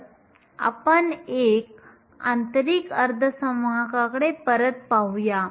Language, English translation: Marathi, So, let us go back to an intrinsic semiconductor